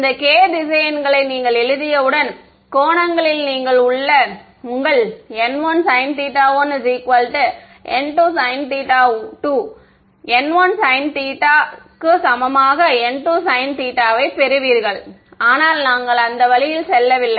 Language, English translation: Tamil, Once you write your these k vectors in terms of angles you will get your n 1 sin theta equal to n 2 sin theta all of that comes from here, but we are not going that route